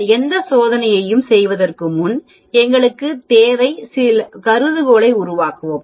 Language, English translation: Tamil, Before you perform any test we need to create the hypothesis